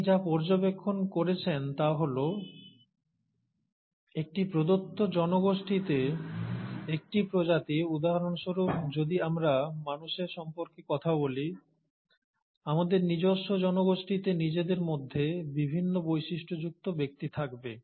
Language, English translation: Bengali, What he observed is that, in a given population itself, for a given species, so if we talk about humans for example, among ourselves and in our own population, there will be individuals with different features